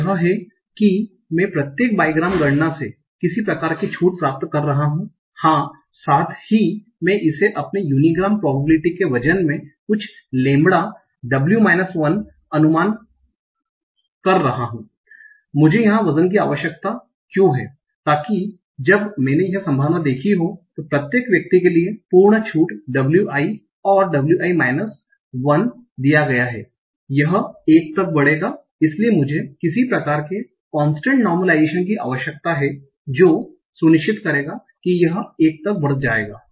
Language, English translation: Hindi, So this is I am doing some sort of discounting from each bygram count, yes, plus I am interpolating it with my unigram probability with some weight lambda w i minus 1 why do I need a weight here so that when I sum of this probability probability absolute discounting W i given w i minus 1 for each individual w This will add up to 1